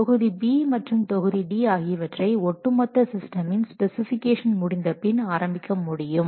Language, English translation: Tamil, Module specify module B and module D can be started only after this overall system specification is over